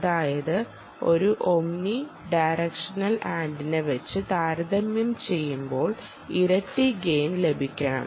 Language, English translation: Malayalam, and therefore, with respect to the omni directional antenna, what is the additional gain